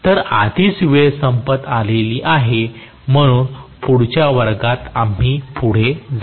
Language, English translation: Marathi, So, already the time is up so we will probably continue with this in the next class